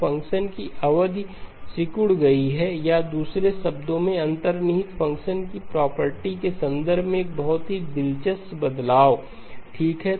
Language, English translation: Hindi, So the period of the function has shrunk or in other words there is a very interesting change in terms of the property of the underlying the function e power j omega okay